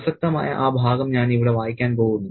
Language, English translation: Malayalam, And I'm going to read that relevant excerpt here